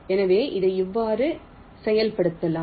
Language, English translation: Tamil, so how do implement this